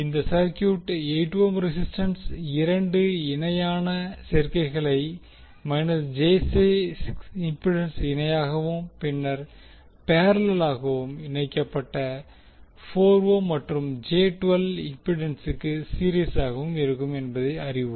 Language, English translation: Tamil, We will come to know that this circuit will now contains two parallel combinations of 8 ohm resistance in parallel with minus J 6 ohm impedance and then in series with the another parallel combination of 4 ohm and j 12 ohm impedance